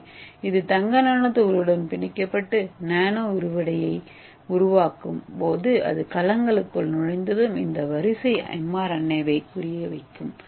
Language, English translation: Tamil, So it is binding to this gold nano particle and form the nano flare once it enter the cells this sequence will target the mRNA, okay